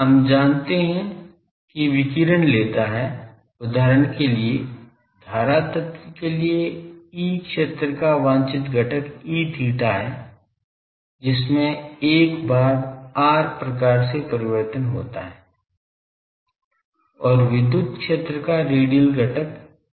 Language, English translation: Hindi, We know that radiation takes is if for example, for the current element the desired component of E field is E theta component which has that 1 by r type of variation and radial component of electric field is E r